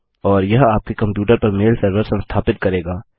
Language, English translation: Hindi, Now I am not actually running a mail server on my computer